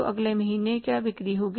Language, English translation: Hindi, So, what are the next month's sales